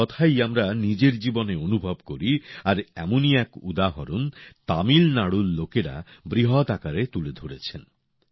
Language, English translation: Bengali, We experience this in our personal life as well and one such example has been presented by the people of Tamil Nadu on a large scale